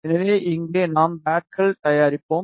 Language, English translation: Tamil, So, here we will be making the pads